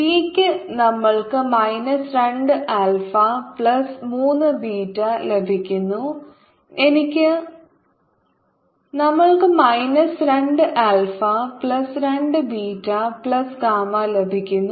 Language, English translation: Malayalam, for t we are getting minus two alpha plus three beta, and for i we are getting minus two alpha plus two beta plus two gamma